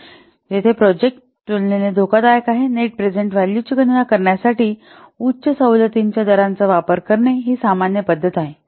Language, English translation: Marathi, Here where a project is relatively risky it is a common practice to use a higher discount rate to calculate the net present value